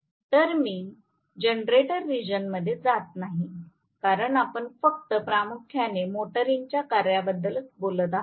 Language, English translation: Marathi, So, let me not get into generator region because we were only primarily concerned with the motoring operation